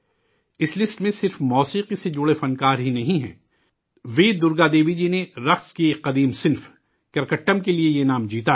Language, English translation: Urdu, This list doesn't just pertain to music artistes V Durga Devi ji has won this award for 'Karakattam', an ancient dance form